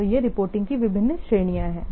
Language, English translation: Hindi, So, these are the different categories of reporting